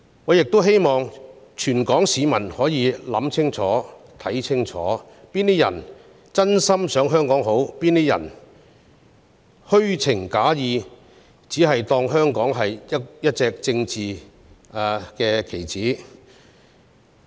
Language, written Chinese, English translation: Cantonese, 我希望全港市民可以想清楚、看清楚，哪些人是真心想香港好、哪些人是虛情假意，只把香港當作一隻政治棋子而已。, I hope that all people of Hong Kong can keep a clear head and see which people genuinely seek to do good to Hong Kong and which are just using Hong Kong as a political pawn